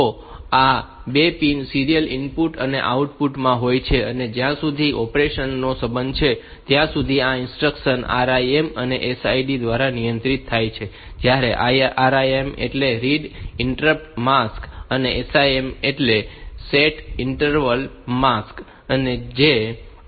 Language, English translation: Gujarati, So, these 2 are for serial input and output, and this as far as the operation is concerned operation is controlled by this instructions RIM and SIM, read interrupt mask and set interval mask